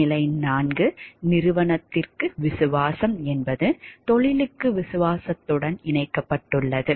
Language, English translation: Tamil, Staged 4 loyalty to company is connected to loyalty to the profession